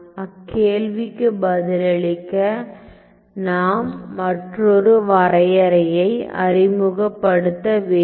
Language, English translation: Tamil, So, to answer that question I have to introduce another definition